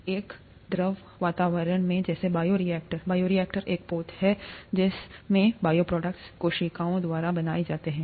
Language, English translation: Hindi, In a fluid environment such as a bioreactor; bioreactor is a vessel in which bioproducts are made by cells